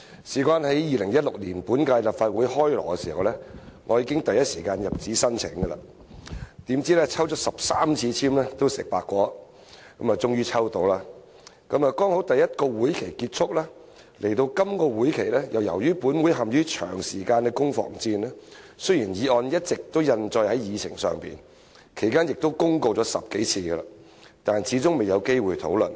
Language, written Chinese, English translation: Cantonese, 在2016年本屆立法會"開鑼"時，我第一時間入紙申請，怎料抽了13次籤也"食白果"，終於抽中了，剛好第一個會期結束；來到這個會期，由於本會陷於長時間的攻防戰，雖然議案一直印載在議程上，其間亦公告了10多次，但始終未有機會討論。, I applied for a debate slot for this motion as soon as this legislative term started in 2016; unexpectedly I failed to secure a slot even after drawing lots for 13 times . At long last I was allocated a slot but as it happened the first legislative session ended . In the current legislative session with this Council bogged down in protracted political combat while this motion had been on the Agenda all along and had been announced 10 - odd times we did not have a chance to discuss it